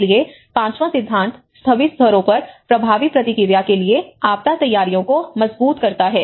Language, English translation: Hindi, So, the fifth principle, strengthen disaster preparedness for effective response at all levels